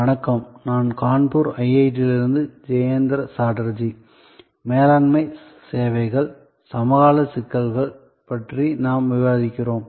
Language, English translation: Tamil, Hello, I am Jayanta Chatterjee from IIT, Kanpur and we are discussing Managing Services, contemporary issues